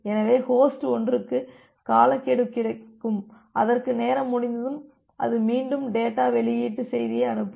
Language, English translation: Tamil, So, host 1 will get a timeout, after it will get a timeout it will again send the data release message